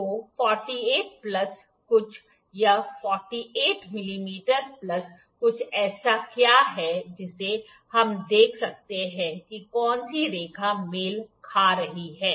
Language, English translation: Hindi, So, 48 plus something, it is 48 mm plus something what is that something we can see which line is coinciding